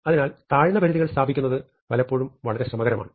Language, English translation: Malayalam, So, establishing lower bounds is often very tricky